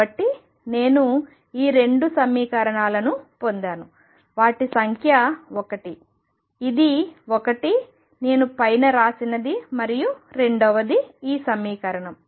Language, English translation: Telugu, So, I have got these 2 equations let me remember them number 1 is this one, that I wrote on top and number 2 is this equation